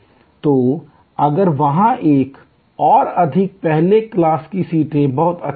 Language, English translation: Hindi, So, if there a more first class seats are in demand very good